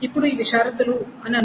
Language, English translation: Telugu, Now suppose these are the conditions